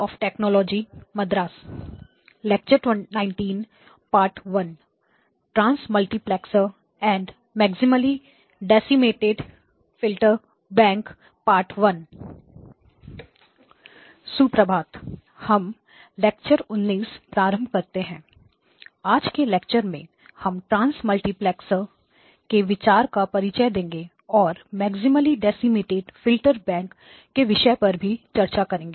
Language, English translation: Hindi, And in today's lecture, we will introduce the concept of transmultiplexes and also the topic of maximally decimated filterbank